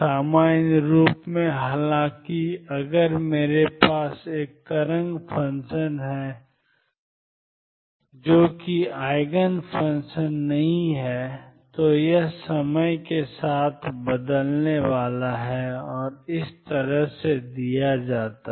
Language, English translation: Hindi, In general; however, if I have a wave function which is not an Eigen function, it is going to change with time and this is how it is going to be given